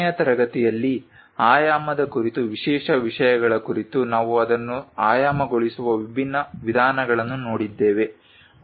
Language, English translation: Kannada, On special issues on dimensioning in the last class we try to look at different ways of dimensioning it